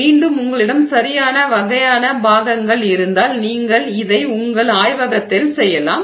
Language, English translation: Tamil, Again this can be made if you have the right kind of parts you can make it in your lab